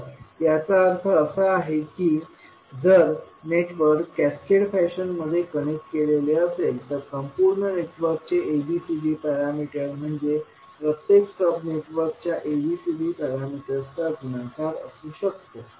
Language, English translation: Marathi, So, that means that if the network is connected in cascaded fashion, the ABCD parameter of overall network can be V multiplication of individual ABCD parameters of the sub networks